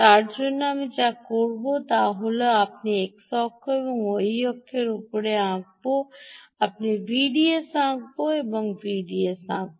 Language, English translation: Bengali, for that, what i will do is i will draw on the x axis and on the y axis i will draw ah v d s